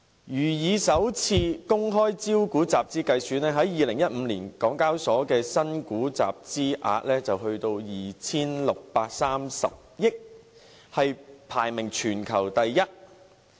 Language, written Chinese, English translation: Cantonese, 如以首次公開招股集資計算，港交所在2015年的新股集資額便有 2,630 億元，排名全球第一。, Speaking of capita - raising through initial public offerings IPOs the total IPO funds raised by HKEx amounted to 263 billion in 2015 ranking first in the world